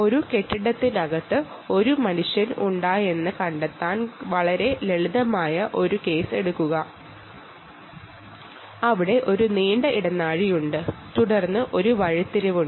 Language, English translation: Malayalam, take a very simple case of ah trying to find out where a human is inside the inside the inside a building indoor, where there is a long corridor and then there is a turning, which is quite typical, right